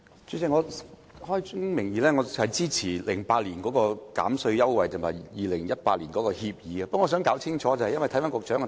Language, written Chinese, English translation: Cantonese, 主席，我開宗明義支持2008年的扣稅優惠及2018年的新《協議》，但我想就局長的主體答覆弄清楚一點。, President I unequivocally support the tax concession introduced in 2008 and the new SCAs in 2018 . But I wish to seek clarification of one thing in the Secretarys main reply